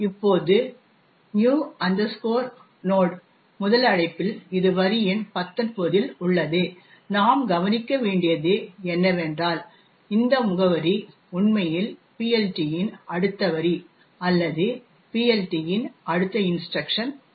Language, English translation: Tamil, Now, in the first invocation of new node which is at line number 19 what we notice is that this address is in fact the next line in the PLT or the next instruction in the PLT